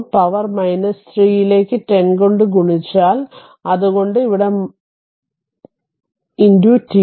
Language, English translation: Malayalam, So, multiplied by 10 to the power minus 3 so, that is why here it is multi into dt